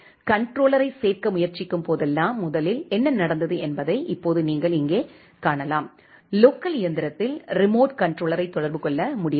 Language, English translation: Tamil, Now you can see here what has happened first whenever it is trying to add the controller, it was not able to contact the remote controller at the local machine